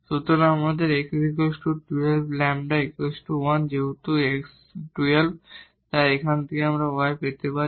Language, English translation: Bengali, So, we have x one half lambda 1 and since x is one half so, from here we can get y